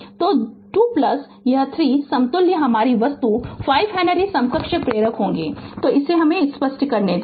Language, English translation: Hindi, So, 2 plus this 3 equivalent your thing will be 5 Henry equivalent inductors right so let me clear it